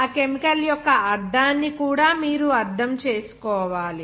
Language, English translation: Telugu, You also have to understand the meaning of that chemical